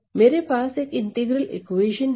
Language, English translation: Hindi, So, I have an integral equation an integral equation